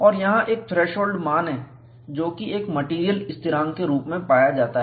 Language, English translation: Hindi, And there is a threshold value, which is found to be a material constant